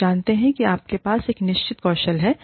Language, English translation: Hindi, You know, you have a certain skill set